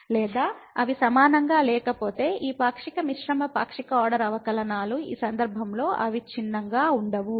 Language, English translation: Telugu, Or if they are not equal that means these partial mixed partial order derivatives are not continuous in that case